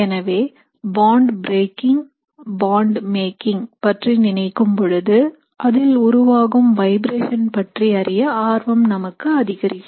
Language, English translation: Tamil, So whenever you think of bond breaking bond making, we are essentially interested in the vibrations that are taking place